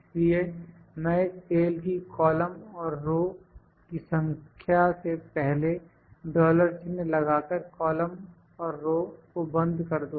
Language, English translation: Hindi, So, this one value I will just lock the row and the column by putting a dollar sign before the column and the row number of the cell